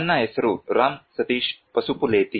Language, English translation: Kannada, My name is Ram Sateesh Pasupuleti